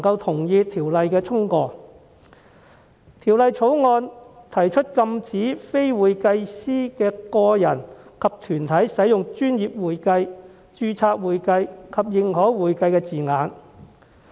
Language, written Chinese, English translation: Cantonese, 《條例草案》提出禁止非會計師的個人及團體使用"專業會計"、"註冊會計"及"認可會計"等稱謂。, The Bill proposes to prohibit a person who is not a certified public accountant and corporates from using descriptions such as professional accounting registered accounting and certified accounting